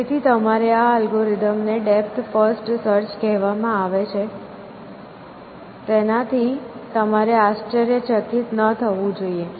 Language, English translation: Gujarati, So, you should not be surprised at this algorithm is called depth first search, this algorithm